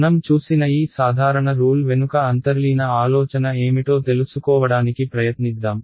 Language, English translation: Telugu, Let us try to find out what is the underlying idea behind these simple rules that we have seen